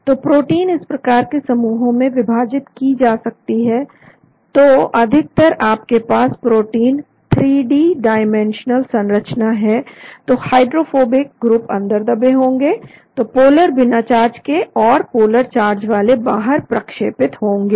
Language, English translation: Hindi, So the proteins are divided can be divided into these types of groups, so generally if you have protein 3 dimensional structure, the hydrophobic groups may be buried inside, so the polar uncharged or polar charged maybe sticking out